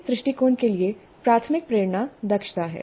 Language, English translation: Hindi, So the primary motivation for this approach is efficiency